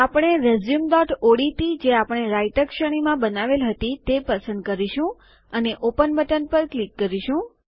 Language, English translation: Gujarati, We will choose resume.odt which we created in the Writer series and click on the Open button